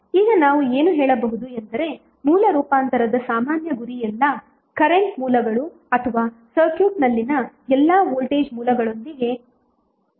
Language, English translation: Kannada, Now in summary what we can say that the common goal of the source transformation is to end of with either all current sources or all voltage sources in the circuit